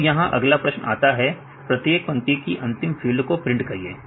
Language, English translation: Hindi, So, now here the next question is print the last field of each line